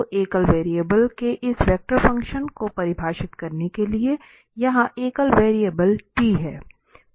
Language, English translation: Hindi, So, to define this vector function of a single variable, so, here the single variable is t